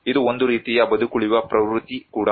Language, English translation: Kannada, It is also a kind of survival instinct